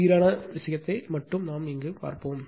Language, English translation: Tamil, We will consider only balanced thing